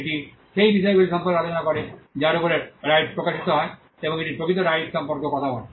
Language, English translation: Bengali, It talks about the things on which the rights are manifested, and it also talks about the actual rights